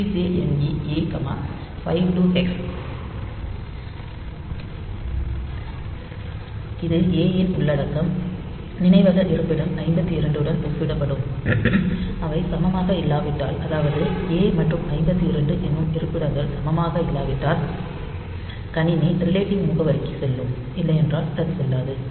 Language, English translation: Tamil, You can say like CJNE A comma say 52 hex comma l one something like this where this content of a registered will be compared with the memory location 52 and if they are not equal so a and 52 location if they are not equal then the system will jump to the relative address, otherwise it will not